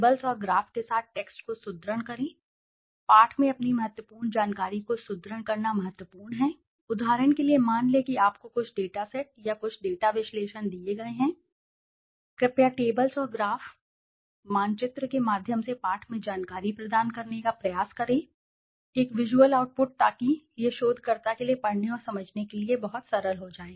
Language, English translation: Hindi, Reinforce text with tables and graphs, it is important to reinforce your key information in the text, suppose for example you are given some dataset or some data analysis, please try to provide the information in the text through tables and graphs, pictures, maps with a visual output so that it becomes much simpler for the researcher to read and understand